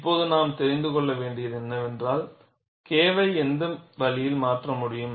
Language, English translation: Tamil, Now, what we will have to know is what way K can change